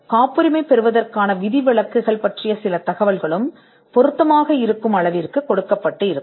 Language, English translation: Tamil, It would also have some information about exceptions to patentability to the extent they are relevant